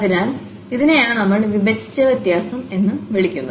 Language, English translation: Malayalam, So, this is what we call the divided difference